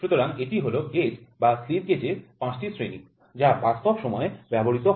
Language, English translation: Bengali, So, these are the 5 grades gauges grades or slip gauges which are used in real time